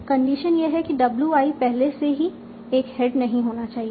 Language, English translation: Hindi, Condition is WI should not already have a head